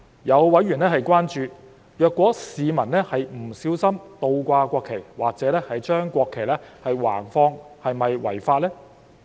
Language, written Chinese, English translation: Cantonese, 有委員關注，如果市民是不小心倒掛國旗或者把國旗橫放是否違法。, Some members have been concerned whether members of the public will violate the law if they inadvertently display the national flag upside down or the national emblem sideways